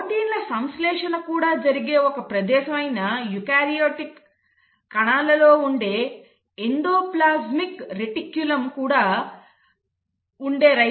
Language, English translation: Telugu, There are also ribosomes which are present on the endoplasmic reticulum in eukaryotic cells that is also a site for synthesis of proteins